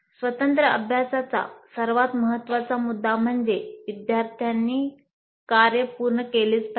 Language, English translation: Marathi, Now the most important aspect of the independent practice is that students must complete the work